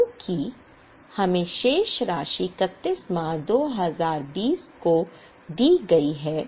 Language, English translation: Hindi, We were given list of balances as on 31 March 2020